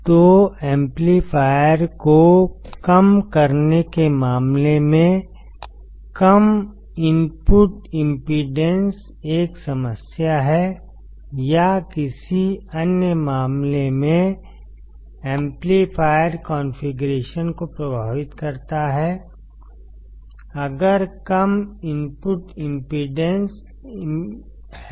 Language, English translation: Hindi, So, in case of inverting amplifier the low input impedance is a problem or in another terms inverting amplifier configuration suffers if there is low input impedance